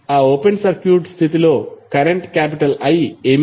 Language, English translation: Telugu, Under that open circuit condition what would be the current I